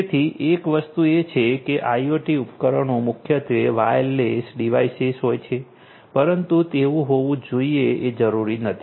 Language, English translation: Gujarati, So, one thing is that IoT devices are primarily, but not necessarily wireless devices right